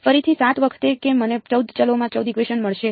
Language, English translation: Gujarati, Again 7 times that I will get 14 equations in 14 variables